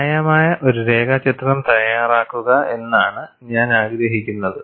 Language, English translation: Malayalam, And what I would like you to do is make a reasonable sketch of this